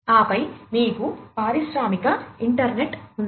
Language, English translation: Telugu, And then you have the industrial internet